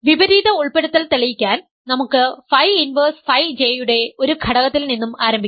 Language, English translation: Malayalam, To prove the opposite inclusion, let us start with an element of phi inverse phi J